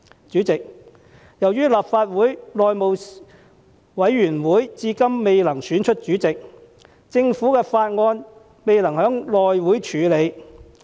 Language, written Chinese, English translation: Cantonese, 主席，由於立法會內務委員會至今未能選出主席，而致政府法案未能獲內務委員會處理。, President since the House Committee of this Council has failed to elect its Chairman up to this moment as a result government bills cannot be dealt with by the House Committee